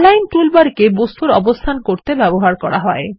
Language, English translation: Bengali, The Align toolbar is used to position objects